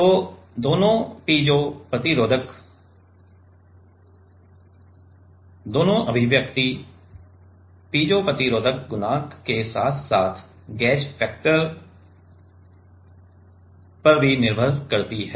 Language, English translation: Hindi, So, both the piezo resistive both the expression piezo resistive coefficient as well as the with the gauge factor are important